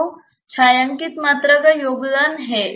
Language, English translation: Hindi, So, the shaded volume has a contribution